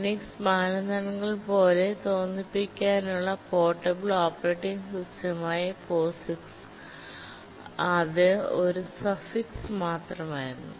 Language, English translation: Malayalam, The I X was simply suffix to POS, the portable operating system to make it look like a Unix standard